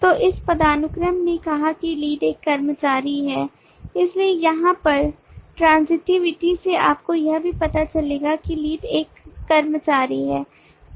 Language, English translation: Hindi, so this hierarchy said that lead is an employee so here by transitivity you will also have that lead is an employee